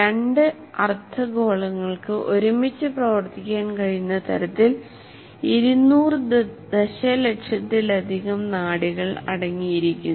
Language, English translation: Malayalam, It consists of more than 200 million nerve fibers so that the two hemispheres can act together